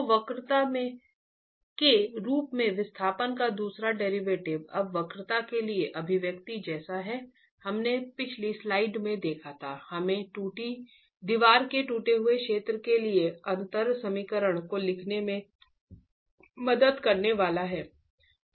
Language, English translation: Hindi, So the second derivative of the displacement as the curvature with now the expression for curvature derived as we saw in the previous slide is going to help us write down the differential equation for the cracked zone of the wall